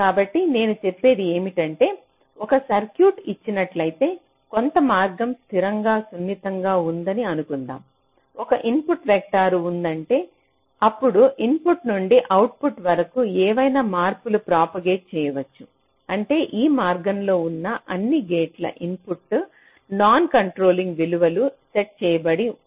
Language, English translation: Telugu, so what i say is that, given a circuit, some path is said to be statically sensitizable if there is an input vector such that so, from the input to the output, any changes can be propagated, means um in all the other inputs to the gates that lie along the way are set to non controlling values, and this static sensitization will be independent of gate delays